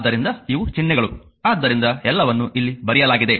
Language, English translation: Kannada, So, these are symbols so, everything is written here